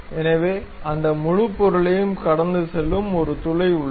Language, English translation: Tamil, So, there is a hole which is passing through that entire object